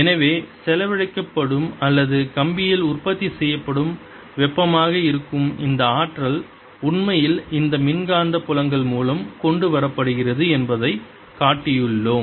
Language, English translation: Tamil, so we have shown that this energy which is being spent or which is being the heat which is being produced in the wire is actually brought in through these electromagnetic fields